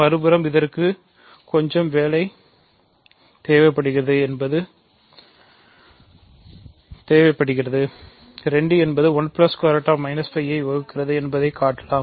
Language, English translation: Tamil, On the other hand, we know that, this requires a little bit work can show 2 does not divide 1 plus